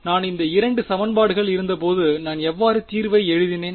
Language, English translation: Tamil, When I had these 2 equations, how did I write the solution